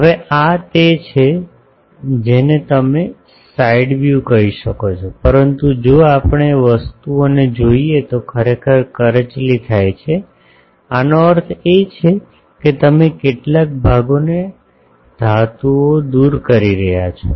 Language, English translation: Gujarati, Now, this is the you can say side view, but if we look at the things actually corrugation means this that some portion you are removing the metals